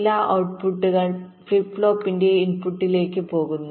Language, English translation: Malayalam, o, some outputs are going to the input of the flip flop